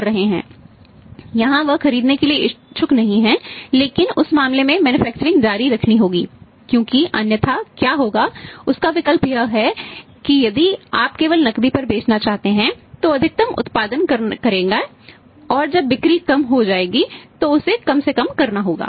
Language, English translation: Hindi, Because otherwise but will happen his option is that if you want to sell on cash only he will produce he will manufacture maximum and when the Saints go down then he has to minimise